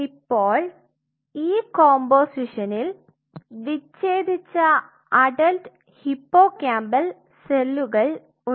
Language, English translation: Malayalam, And this composition consists of your adult hippocampal dissociated cells, what all it consists of